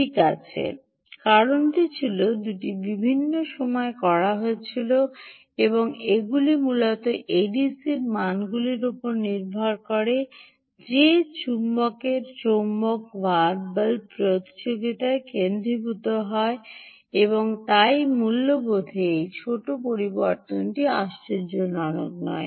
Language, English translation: Bengali, well, the reason is there were done at two different times and um they were essentially the a d c values will largely depend on how the magnet, magnets are oriented on the bearing race, and so this small variation, slight change in values, is not surprising